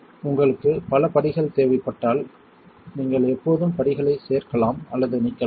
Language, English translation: Tamil, So, if you need multiple steps you can always add or delete steps